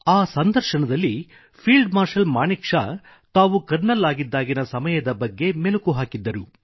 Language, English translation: Kannada, In that interview, field Marshal Sam Manekshaw was reminiscing on times when he was a Colonel